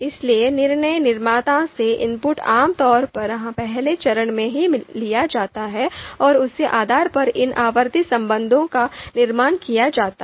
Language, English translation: Hindi, So the inputs from decision maker is typically taken in the first phase itself and based on that, construction of these outranking relations is done